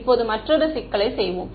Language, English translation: Tamil, Now let us take another problem ok